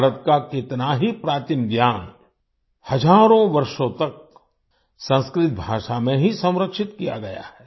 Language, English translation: Hindi, Much ancient knowledge of India has been preserved in Sanskrit language for thousands of years